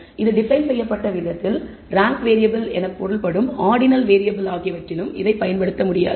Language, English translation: Tamil, The way it is defined we can also not apply it to ordinal variables which means ranked variable